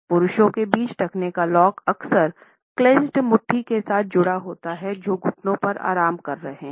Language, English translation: Hindi, Amongst men we find that the ankle lock is often combined with clenched fists; which are resting on the knees